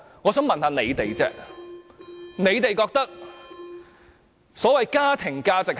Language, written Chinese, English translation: Cantonese, 我想問問大家，所謂的家庭價值是甚麼？, I would like to ask Honourable Members this question . What do you think the so - called family values are?